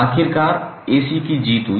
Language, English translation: Hindi, Eventually AC won